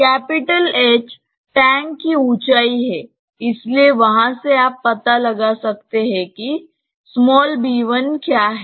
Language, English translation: Hindi, H being the height of the tank known, so from there you can find out what is b 1